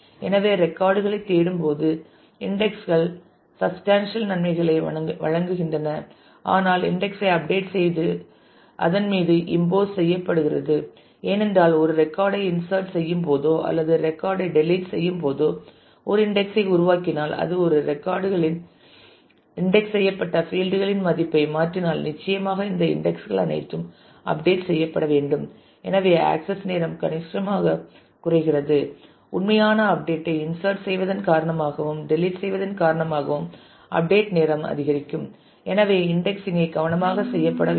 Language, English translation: Tamil, So, indices offer substantial benefits when searching for records, but updating index impose over it; because if you create an index whenever you insert a record or a delete a record or you change the value of a field which is indexed in a record then certainly all these indices will have to be also updated and therefore, while your access time significantly reduces, because of indexing your actual update insert delete update time will increase and therefore, the indexing will have to be done carefully